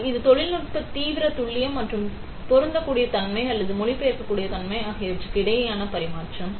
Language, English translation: Tamil, So, it is a tradeoff between extreme accuracy and applicability or translatable nature of technology